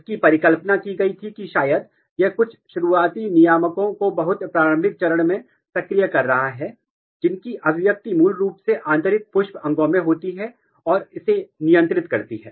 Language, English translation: Hindi, So, it was hypothesized that maybe, it is activating some early regulators at very early stage, whose expression is basically there in inner floral organs and regulating it